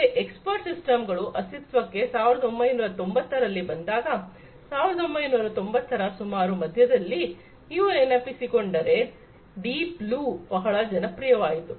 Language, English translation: Kannada, So, expert systems came into being, then in the 1990s, somewhere in the middle; middle of 1990s if you recall the Deep Blue became very popular